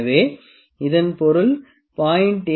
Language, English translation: Tamil, So, that means, 0